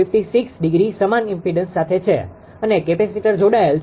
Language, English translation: Gujarati, 56 degree per same same impedance and a capacitor is connected